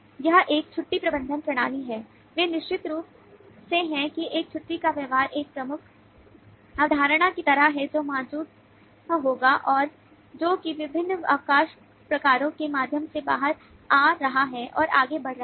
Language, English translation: Hindi, they are certainly that is a leave behaviour is kind of a dominant concept that will exist and that is coming out and proliferating through a variety of different leave types